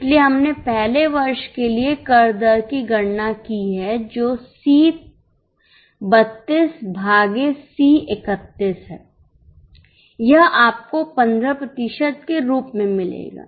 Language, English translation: Hindi, So, we have calculated the tax rate for the earlier year here, which is C 32 upon C 31